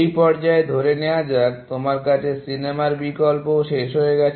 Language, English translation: Bengali, Let us say at this stage, you have run out of movie options as well